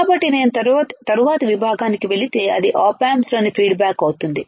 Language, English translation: Telugu, So, if I go to the next section, if I go to the next section that will be the feedback in op amps